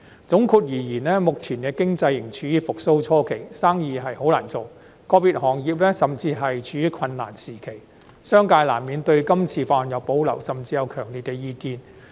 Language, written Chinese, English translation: Cantonese, 總括而言，目前經濟仍處復蘇初期，生意難做，個別行業甚至處於困難時期，商界難免對《條例草案》有保留，甚至有強烈意見。, All in all the economy is still at an early stage of recovery . As the business environment is harsh and some sectors are even caught in a predicament the business sector inevitably has reservation and even strong views about the Bill